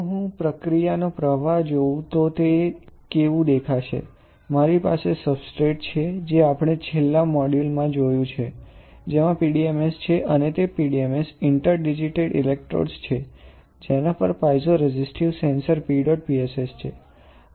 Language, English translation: Gujarati, So, if I see the process flow, how it will look like; I have a substrate which we have seen in the last module, which has PDMS and on that PDMS interdigitated electrodes, on which there are piezoresistive sensors PEDOT PSS